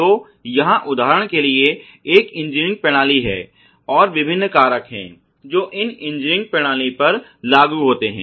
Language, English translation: Hindi, So, here is an engineered system for example, we just shown and there are different factors thus can be seen applied to these engineering system